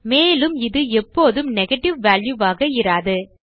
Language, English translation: Tamil, And this will never be a negative value